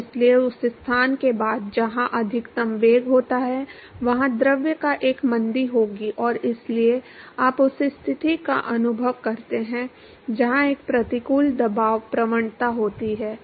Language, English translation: Hindi, So, therefore, after the location where the maximum velocity occurs there will be a deceleration of the fluid and so, you experiences the situation where there is a an adverse pressure gradient